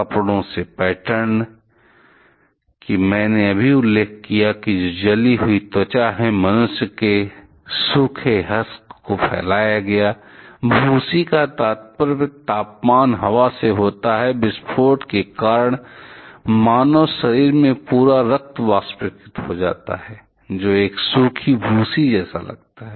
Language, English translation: Hindi, The patterns from clothing the; that I just have mentioned which is burned skin, dried husks of human being spread, husk refers to the temperature wind was so high, because of the explosion that the entire blood from the human body evaporated leaving behind something which resembles a dried husk